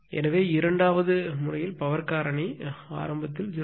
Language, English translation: Tamil, So, power factor in the second case initial is 0